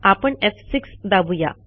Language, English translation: Marathi, I am pressing F6 now